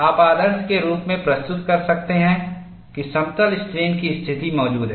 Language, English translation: Hindi, You could idealize that, you have a plane strain situation exists